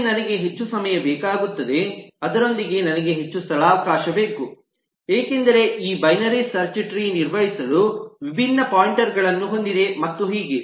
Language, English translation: Kannada, rather i need more space, because now the binary search tree has different pointers to manage and so on